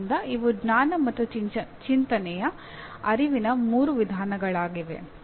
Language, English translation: Kannada, So these are three types of awareness of knowledge and thinking